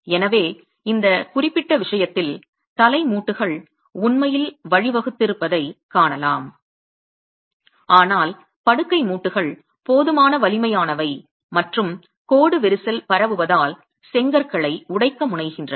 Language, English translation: Tamil, So in this particular case, we can see that the head joints have actually given way, but the bed joints are strong enough and tend to end up breaking the bricks as the line crack is propagating